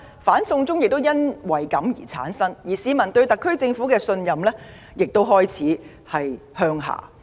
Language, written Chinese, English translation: Cantonese, "反送中"運動由此而生，市民對特區政府的信任亦開始下滑。, The anti - extradition to China movement sprouted from these fears and the peoples trust in the SAR Government began to slip